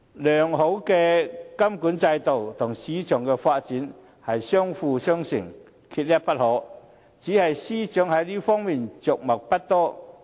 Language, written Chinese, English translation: Cantonese, 良好的監管制度和市場的發展相輔相成，缺一不可，只是司長在這方面着墨不多。, A good monitoring system and market development are mutually complementary and both are indispensable . However the Financial Secretary fails to elaborate in this regard